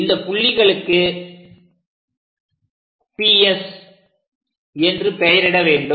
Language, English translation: Tamil, This point what we are calling S and this point as P